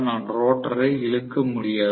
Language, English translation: Tamil, I am not going to be able to pull the rotor right